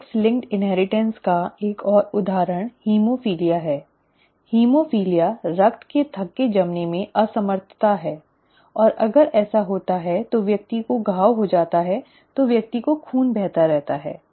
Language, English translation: Hindi, An example of sex linked inheritance is haemophilia, haemophilia is an inability to inability of the blood to clot and if that happens then the person has a wound then the person continues to bleed